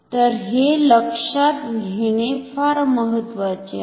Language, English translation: Marathi, So, this is very important to note